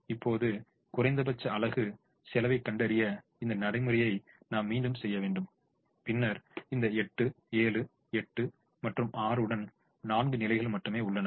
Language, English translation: Tamil, now we repeat this procedure to find out the minimum unit cost, and then there are only four positions now with eight, seven, eight and six